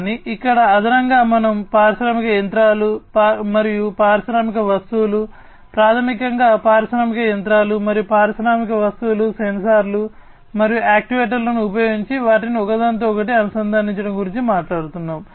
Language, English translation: Telugu, But, here additionally we are talking about consideration of industrial machinery, and industrial things, basically the industrial machinery, and industrial objects interconnecting them using sensors and actuators